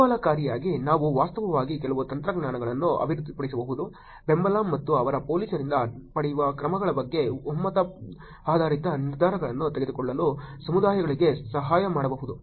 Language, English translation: Kannada, Interestingly we can actually develop some technologies also, helping communities to make consensus based decisions regarding support and actions they seek from police